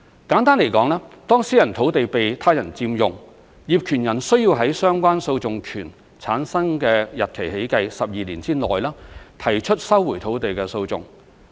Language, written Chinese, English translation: Cantonese, 簡單地說，當私人土地被他人佔用，業權人需要在相關訴訟權產生的日期起計12年之內，提出收回土地的訴訟。, 347 and relevant case law . Simply put when a piece of privately owned land is occupied by another person the landowner has to take legal action to recover the land within 12 years from the date on which the right of action accrued to him or her